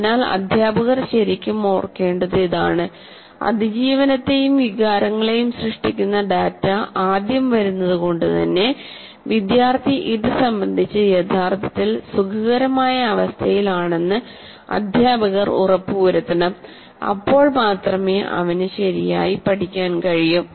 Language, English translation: Malayalam, So this is what teachers should really, really remember that if data from these two affecting survival and data generating emotions, when it comes first, that means teacher should also make sure that the student actually feels comfortable with respect to this, then only he can learn properly